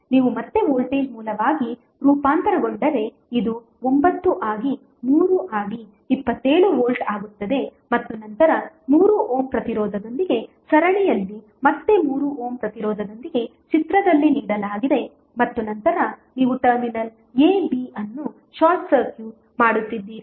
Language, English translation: Kannada, If you transform again into voltage source so this will become 9 into 3 that is 27 volt then in series with 3 ohm resistance again in series with 3 ohm resistance which is given in the figure and then you are short circuiting the terminal a, b